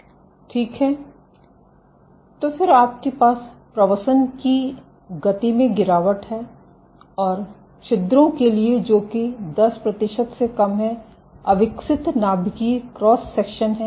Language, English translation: Hindi, So, then you have a drop in migration speed, and for pores which are smaller than 10 percent of undeformed nuclear cross section